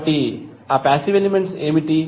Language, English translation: Telugu, So, what are those passive elements